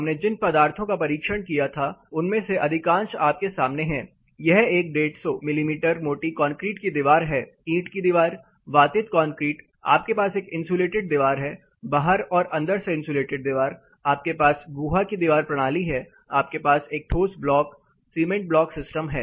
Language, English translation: Hindi, So, most of the materials that we tested this is a concrete wall 150 mm, brick wall, aerated concrete, you have a insulated wall, outside versus inside insulation, you have cavity wall system, you have a solid blocks cement block system